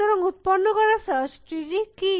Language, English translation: Bengali, And so, what is the search tree we are generating